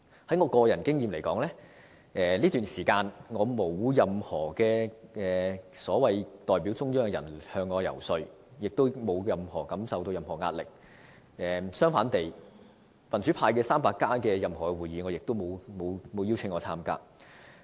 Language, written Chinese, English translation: Cantonese, 以我個人經驗來說，在這段時間，沒有任何所謂代表中央的人員向我遊說，我沒有感受到任何壓力，而"民主 300+" 的任何會議，我也沒有獲邀參加。, In my case during this time no one purporting to represent the Central Authorities has lobbied me; I do not feel being pressurized in any way and I have not been invited to participate in any meetings of the Democrats 300